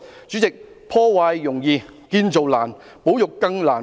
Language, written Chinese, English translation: Cantonese, 主席，破壞容易建造難，保育更難。, President it is easier to destroy than to create whereas conservation is even more difficult